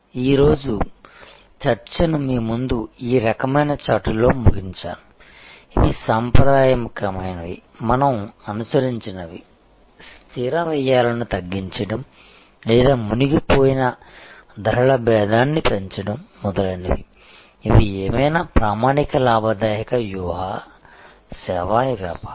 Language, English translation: Telugu, So, I will end today’s discussion by with this kind of chart in front of you, that these are traditional, what we have followed, that how to lower fixed costs or sunk overhead raise price differentiation etc, these are the standard profitability tactics of any service business